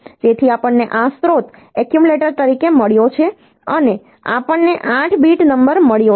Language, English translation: Gujarati, So, we have got this source as accumulator and we have got 8 bit number